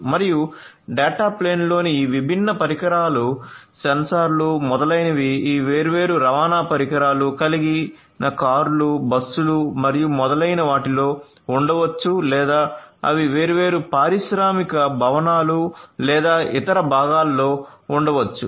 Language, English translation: Telugu, And these different devices in the data plane the sensors etcetera might be there in these different transportation devices cars, buses and so on or they might be there in the different industrial, buildings or different other parts so, this is your data plane